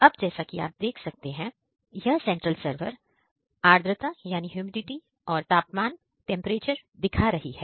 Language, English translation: Hindi, Now, coming to the central server as you can see here, it is show showing humidity, temperature